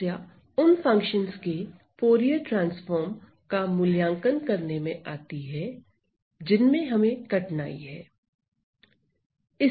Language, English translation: Hindi, The problem comes how to evaluate Fourier transform of functions in which we have some difficulties right